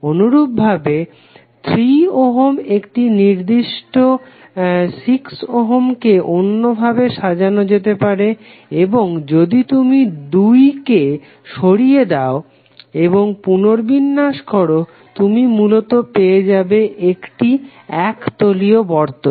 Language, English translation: Bengali, Similarly this particular 6 ohm is also can be arranged in this fashion and if you remove this 2 and rearrange you will eventually get a planar circuit